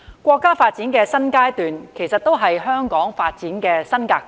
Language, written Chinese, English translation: Cantonese, 國家發展的新階段也是香港發展的新格局。, The new stage of national development also establishes a new development pattern for Hong Kong